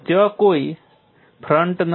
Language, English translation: Gujarati, There is no crack front as such